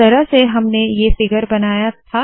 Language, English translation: Hindi, This is how we created this figure